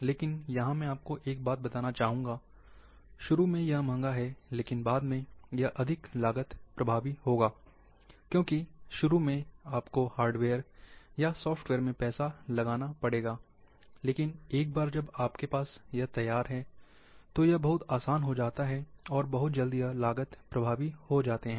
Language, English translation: Hindi, But let me say one thing at this point of time, initially it is expensive, but later on, it would be more cost effective because initially, you have to invest lot of money in hardware, or software, and expertise, which one, once the setup is there, then now, it is much easier and, it will become cost effective very soon